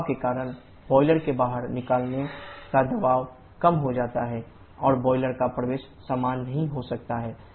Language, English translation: Hindi, Because of the pressure losses the pressure at the exit of the boiler and entry of the boiler may not be the same